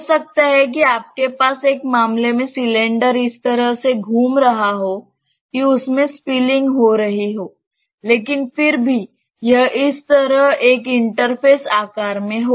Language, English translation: Hindi, You may have in one case the cylinder is rotating in such a way that you have spilling, but still it is having an inter phase shape like this